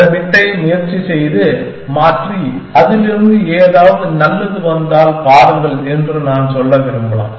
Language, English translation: Tamil, Then I may want to say that try and change this bit and see, if something good comes out of it